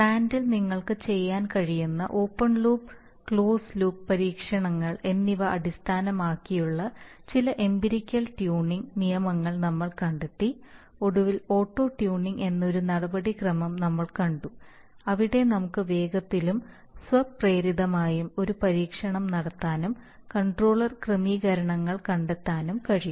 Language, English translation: Malayalam, Then we saw a method of direct computation of controller settings based on a process module open loop plant model and the reference model then we found out some empirical tuning rules which are based on open loop and closed loop experiments that you can perform on the plant and finally we saw a procedure called auto tuning where we could quickly and automatically do an experiment and find out the controller settings